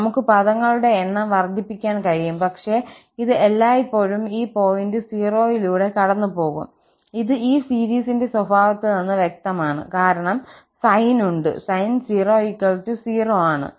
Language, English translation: Malayalam, We can increase the number of terms, but it will always pass through this point 0, which is obviously clear from the nature of this series, because sine is there and sin 0 will be 0